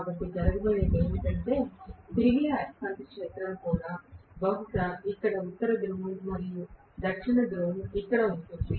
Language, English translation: Telugu, So what is going to happen is the revolving magnetic field probably has a North Pole here and South Pole here at this point